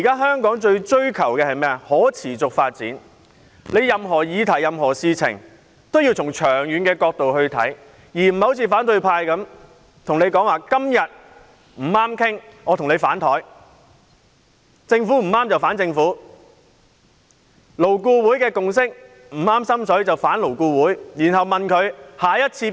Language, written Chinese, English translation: Cantonese, 香港現在追求的是可持續發展，任何議題和事情也要從長遠角度考量，而不能像反對派般，每當談不攏便反臉：與政府談不攏，便反政府；勞顧會的共識不合心意，便反勞顧會。, Today in Hong Kong we talk about sustainable development everything should be considered from a long - term perspective . We should not behave like the opposition Members who fall out with those who disagree with them . They oppose the Government when an agreement cannot be reached; they fall out with LAB when they are not happy with its consensus